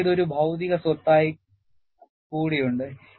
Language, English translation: Malayalam, And, you also have this as a material property